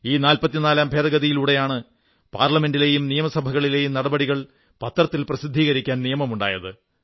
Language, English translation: Malayalam, The 44th amendment, made it mandatory that the proceedings of Parliament and Legislative Assemblies were made public through the newspapers